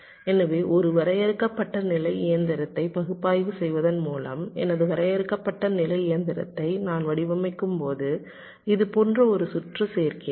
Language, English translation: Tamil, so by analyzing a finite state machine, the well, when i design my finite state machine, i will be adding a circuit like this